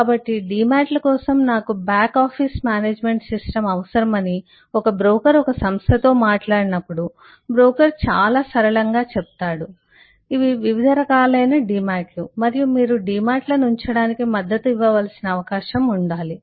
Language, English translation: Telugu, so when a broker talks to a company that I need a back office management system for demats, the broker very fluently says that well, uh, these are the different kinds of demats it will have and there should be a possibility